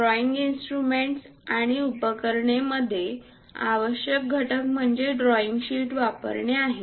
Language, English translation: Marathi, In the drawing instruments and accessories, the essential component is using drawing sheet